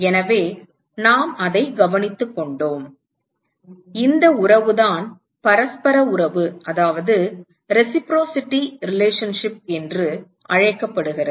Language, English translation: Tamil, So, we have just taken care of that and this relationship is what is called as reciprocity relationship